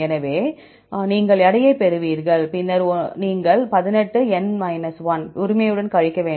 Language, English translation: Tamil, So, you get the weight, then you have to subtract with 18 right